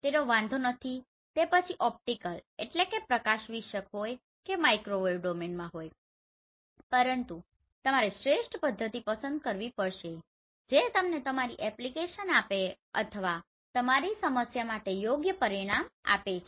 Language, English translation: Gujarati, It does not matter whether it is in optical or microwave domain, but you have to select the best method which is giving you best results for your application or your problem right